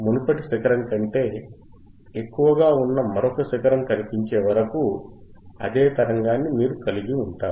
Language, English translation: Telugu, You keep on holding the same signal, until another peak appears which is higher than the previous peak which is higher than this peak